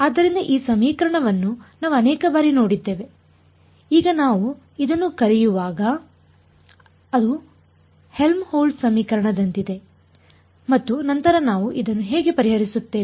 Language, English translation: Kannada, So, this equation we have seen it many times when now we I will call this it is like a Helmholtz equation and then we said how do we solve this